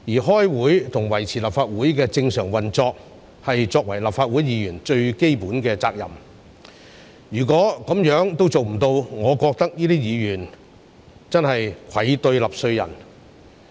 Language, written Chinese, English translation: Cantonese, 開會及維持立法會的正常運作，是立法會議員最基本的責任，如果這樣也做不到，我覺得這些議員真是愧對納稅人。, Attending meetings and maintaining the normal operation of the Legislative Council are the most basic responsibilities of Legislative Council Members . Members who fail to do so in my opinion have indeed failed the taxpayers